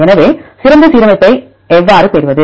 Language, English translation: Tamil, So, how to get the best alignment